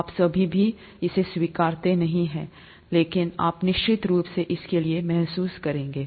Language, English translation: Hindi, You may not still accept it but you will certainly have a feel for it